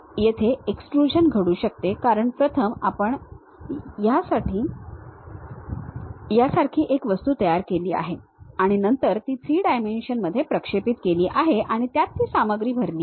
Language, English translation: Marathi, There might be extrusion happen because first we have constructed some object like that, and then projected that into 3 dimensions and fill that material